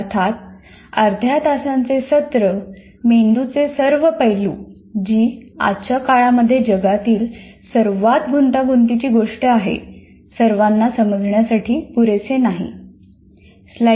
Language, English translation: Marathi, Obviously, half an hour is not sufficient to understand the all aspects of the brain, which is the most complex, what do you call, a most complex thing in the world as of today